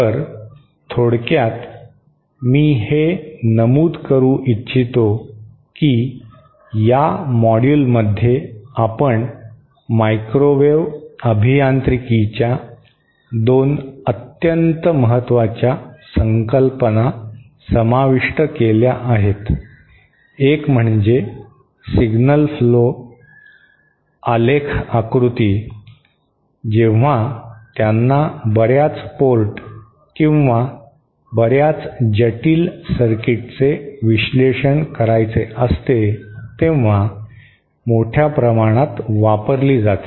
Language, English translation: Marathi, So, in summary, I would like to mention that in this module, we covered 2 very important concepts in microwave engineering, one was the signal flow graph diagram, which is extensively used when they want to analyse very complicated circuits with many ports or many circuit elements and also the ABCD parameters